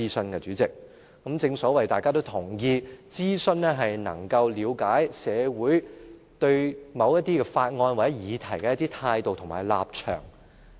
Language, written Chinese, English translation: Cantonese, 代理主席，正如大家都同意，諮詢能夠了解社會對某些法案或議題的一些態度和立場。, Deputy President everyone agrees that consultation will help the Government understand the attitudes and standpoints of society regarding a bill or a topic . We are all normal people